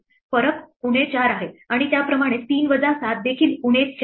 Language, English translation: Marathi, The difference is minus 4 and similarly 3 minus 7 is also minus 4